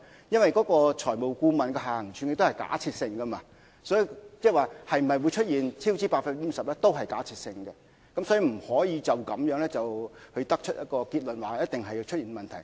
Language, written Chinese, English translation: Cantonese, 因為財務顧問提出的下行處境是假設性，即是說出現超支 50% 也是假設性的，所以不能因而得出結論說一定會出現問題。, That is because the downside scenarios put forward by the financial advisor are hypothetical . In other words the 50 % cost overrun is also hypothetical and hence we cannot conclude simply that there will be such a problem for sure